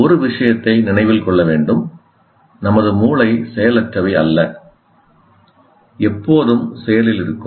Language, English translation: Tamil, And one thing should be remembered, our brains are constantly active